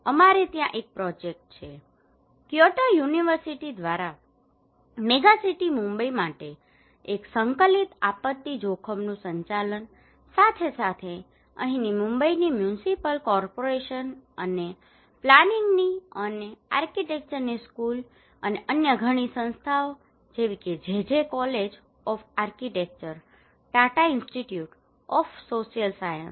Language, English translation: Gujarati, We had a project there, one integrated disaster risk management for megacity Mumbai by Kyoto University, along with in collaboration with the Municipal Corporation of here in Mumbai and school of planning and architecture and other many Institutes like JJ College of Architecture, Tata Institute of Social Science